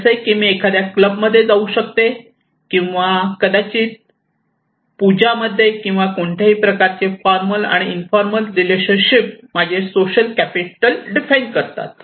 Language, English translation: Marathi, Like I can go to some club or maybe in a puja or in so any kind of formal and informal relationship defines my social capital